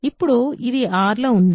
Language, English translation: Telugu, So, it is in R